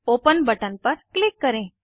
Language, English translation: Hindi, Click on Open button